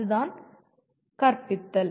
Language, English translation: Tamil, That is what teaching is all